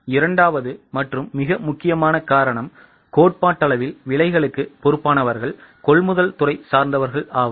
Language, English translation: Tamil, The second and more important cause is theoretically those which are in charge of prices, this is a purchase department